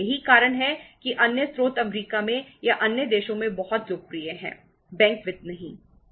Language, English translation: Hindi, That is why the other sources are very popular in US or in the other countries, not the bank finance